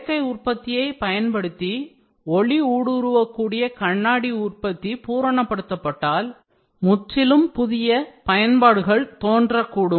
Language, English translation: Tamil, If the production of optically transparent glass using additive manufacturing is perfected, completely new applications may appear